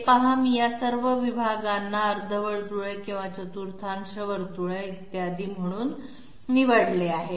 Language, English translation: Marathi, See this one, I have chosen all all of these segments to be either semicircles or quarter circles, et cetera et cetera